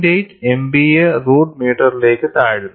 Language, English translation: Malayalam, 8 Mpa root meter